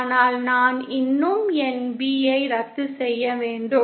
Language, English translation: Tamil, But my I have to still cancel my B in